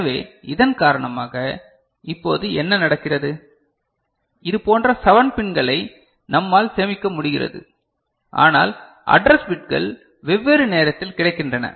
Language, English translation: Tamil, So, what is happening now because of this that we are able to save 7 such pins, but the address bits are made available at different point of time